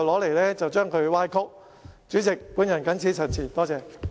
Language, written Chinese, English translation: Cantonese, 代理主席，我謹此陳辭，多謝。, Deputy President I so submit . Thank you